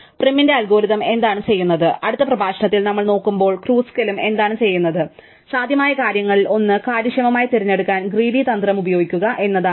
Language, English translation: Malayalam, What prim's algorithm does and what Kruskal's also will do when we look at in the next lecture is to use a greedy strategy to efficiently pick out one of these possible things